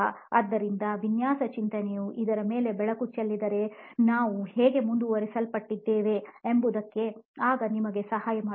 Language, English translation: Kannada, So if design thinking can shed light on this is going to be how we are going to proceed then it will probably help you